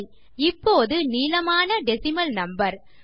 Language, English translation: Tamil, Okay, we have got a quiet long decimal number